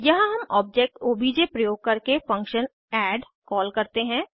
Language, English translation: Hindi, Here we call the function add using the object obj